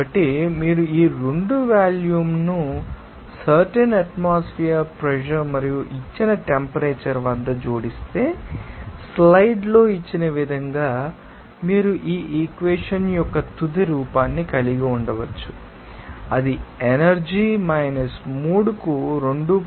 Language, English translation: Telugu, So, if you add these 2 you know volume at that particular atmospheric pressure and given temperature, you can have this final form of the equation as given in the slide that will be equal to 2